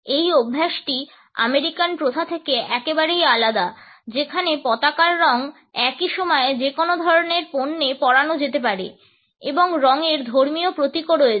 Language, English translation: Bengali, This practice is very different from the American practice where the colors of the flag can be worn on any type of a product at the same time colors also have religious symbolism